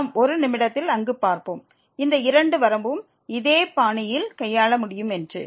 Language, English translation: Tamil, And we will see in a minute there these both limit can be handle in a similar fashion